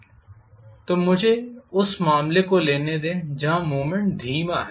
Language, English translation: Hindi, So let me take the case where the movement is slow